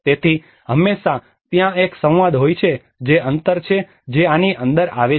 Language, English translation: Gujarati, So there is always a dialogue there is a gap which occurs within this